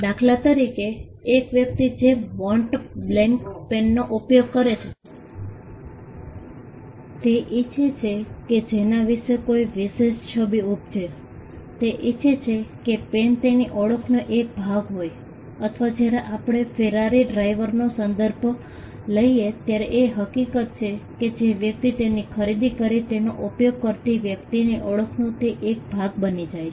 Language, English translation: Gujarati, For instance, a person who uses a Mont Blanc pen, he wants a particular image to be conveyed about him, he wants the pen to be a part of his identity or when we refer to a Ferrari driver again the fact that a person purchases the car and uses it becomes a part of a person’s identity